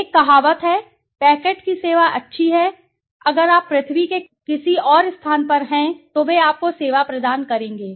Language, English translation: Hindi, There is a saying, the service of packet good that if you are at some other side of the earth also they would provide you service